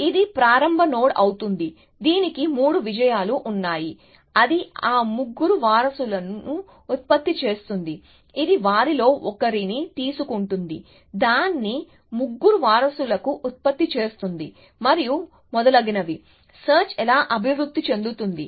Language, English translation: Telugu, will be the start node, it has three successes, it would generate those three successors; it will take one of them, generate its three successors and so on and so forth, that is how search will progress